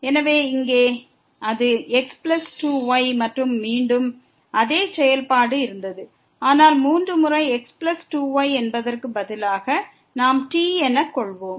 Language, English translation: Tamil, So, here it was plus 2 and again same functionality, but with the 3 times plus 2 which we have replaced by